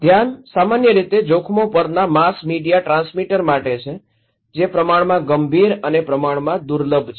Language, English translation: Gujarati, The focus is generally for the mass media transmitter on the hazards that are relatively serious and relatively rare